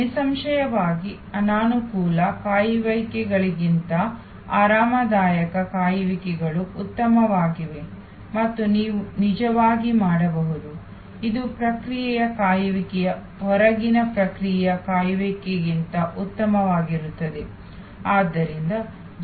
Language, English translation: Kannada, Obviously, comfortable waits are better than uncomfortable waits and you can actuallyů This in process wait is better than outer process wait